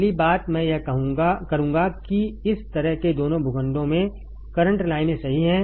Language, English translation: Hindi, First thing I will do is correct the current lines in both the plots like this right